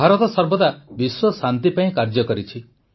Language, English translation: Odia, India has always strove for world peace